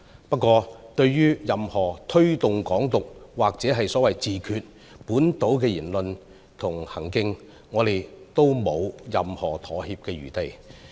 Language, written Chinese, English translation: Cantonese, 不過，對於任何推動"港獨"或所謂"自決"的本土言論和行徑，我們都沒有任何妥協餘地。, However there is no room for compromise for any local remarks or actions that promote Hong Kong independence or the so - called self - determination